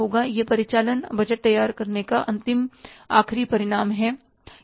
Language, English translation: Hindi, So, this is the final end result of preparing the operating budgets